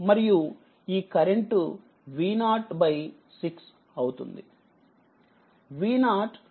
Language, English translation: Telugu, So, and this current is 0